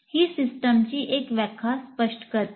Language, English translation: Marathi, So that is one definition of system